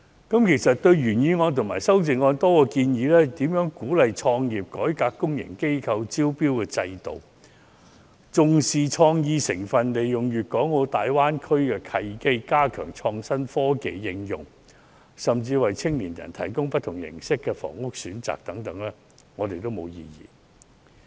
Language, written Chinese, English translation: Cantonese, 對於原議案和修正案中多項建議，由如何鼓勵創業、改革公營機構的招標制度、重視創意、利用粵港澳大灣區的契機、加強創新科技的應用，以至為青年人提供不同形式的房屋選擇等，我們都沒有異議。, No problem . That is well expected . We have no objection to the various proposals in the original motion and its amendments for example encouraging entrepreneurship reforming the tendering system of public organizations attaching importance to creativity seizing the opportunities presented by the Guangdong - Hong Kong - Macao Greater Bay Area strengthening the application of innovative technology and providing young people with different forms of housing choices